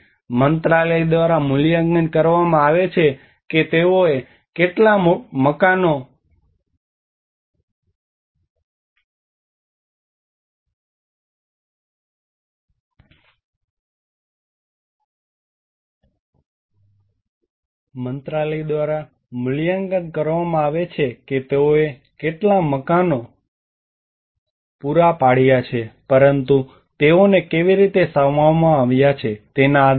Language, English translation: Gujarati, The Ministry is only evaluate how many houses they have provided but not on how they have been accommodated